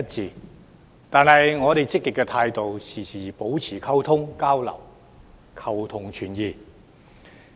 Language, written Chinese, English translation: Cantonese, 儘管如此，我們抱持積極態度，時刻保持溝通交流，求同存異。, Nevertheless we adopt a positive attitude in maintaining frequent communication and exchanging ideas with a view to seeking common ground while reserving differences